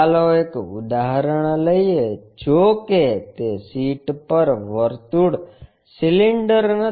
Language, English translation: Gujarati, Let us take one example though it is not circle cylinder on the sheet